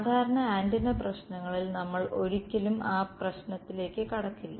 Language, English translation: Malayalam, In usual antenna problems all we never run into that issue